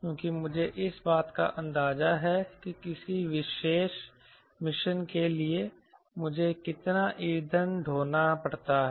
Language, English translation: Hindi, i have an idea how much fuel have to carry for a particular mission